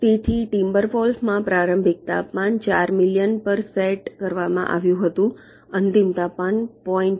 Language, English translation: Gujarati, so in timber wolf the initial temperature was set to four million, final temperature was point one